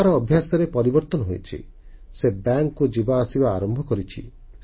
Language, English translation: Odia, His ways have changed, he has now started going to the bank